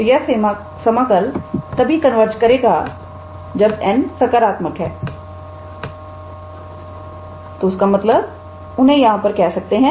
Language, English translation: Hindi, So, this integral converges only when n is positive so; that means, from here we can say that